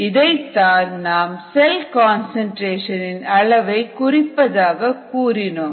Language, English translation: Tamil, this is what we talked about as a measure of the cell concentration itself